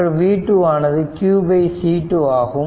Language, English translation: Tamil, So, v 1 will be q upon C 1